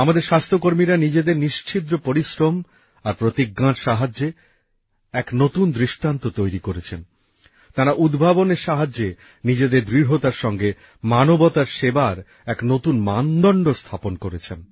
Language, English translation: Bengali, Our health workers, through their tireless efforts and resolve, set a new example…they established a new benchmark in service to humanity through innovation and sheer determination